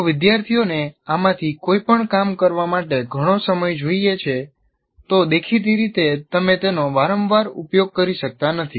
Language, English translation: Gujarati, If students require a lot of time to do any of these things, obviously you cannot frequently use